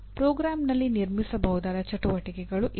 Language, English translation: Kannada, These are the activities that can be built into the program